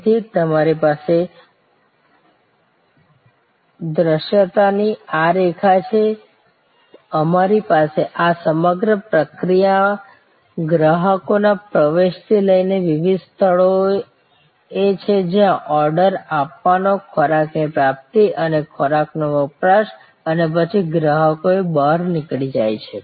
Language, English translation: Gujarati, So, we have this line of visibility, we have this whole process from customers entry to the various place, where there is ordering, receiving of the food and consumption of the food and then, the customers exit